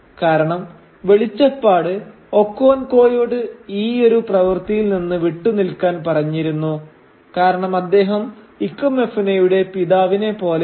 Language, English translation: Malayalam, Because the oracle had also asked Okonkwo to keep away from the whole business because he was like a father to Ikemefuna